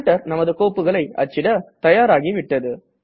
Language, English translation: Tamil, Our printer is now ready to print our documents